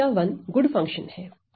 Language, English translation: Hindi, So, here my 1 is my good function right